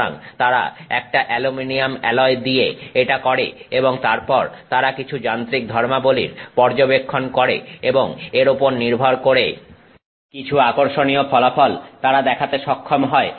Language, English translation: Bengali, So, they do this with an aluminium alloy and then they study some mechanical properties and they are able to show some interesting results based on that